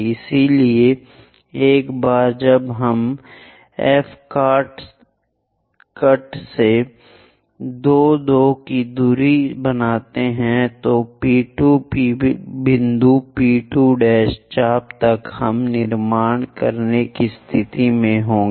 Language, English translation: Hindi, So, once we construct 2 2 prime distance from F cut an arc so that P 2 point P 2 prime arc we will be in a position to construct